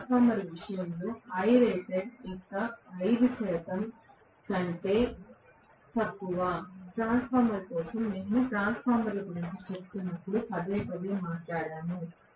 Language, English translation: Telugu, Whereas in the case of transformer, Im is only less than 5 percent of I rated, for a transformer this we talked about repeatedly when we were discussing transformers